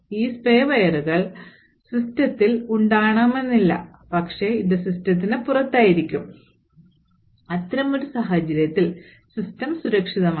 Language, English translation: Malayalam, So, these spyware may not be present in the system, but it will be outside the system, and in such a case the system is still secure